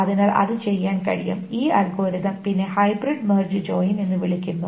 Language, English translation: Malayalam, So that can be done and this algorithm is then called the hybrid March join